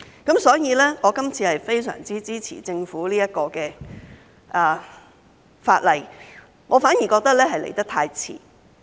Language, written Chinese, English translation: Cantonese, 因此，我今次非常支持政府這項法例，我反而覺得來得太遲。, Therefore I strongly support the legislation proposed by the Government this time which I think it is long overdue